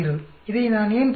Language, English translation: Tamil, Why do I see this